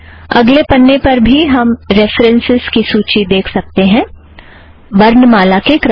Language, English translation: Hindi, We can see the references on the next page also, there you are, it is alphabetical